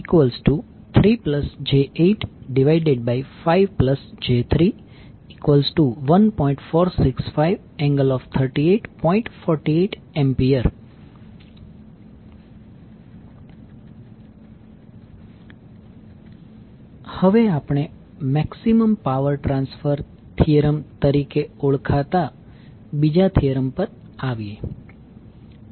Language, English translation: Gujarati, Now, let us come to the, another theorem called Maximum power transfer theorem